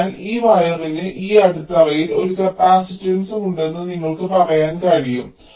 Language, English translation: Malayalam, so you can say that there is also a capacitance of this wire to this substrate